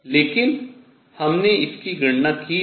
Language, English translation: Hindi, So, this we have calculated